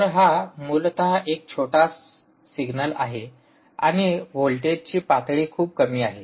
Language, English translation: Marathi, so this is ah, essentially a very small signal and the voltage levels are very low